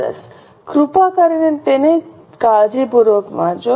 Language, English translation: Gujarati, Please read it carefully